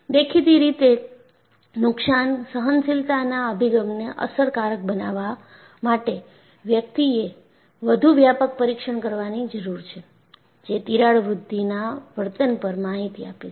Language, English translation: Gujarati, So, obviously, for damage tolerance approach to be effective, one needs to device more comprehensive test, that gives information on crack growth behavior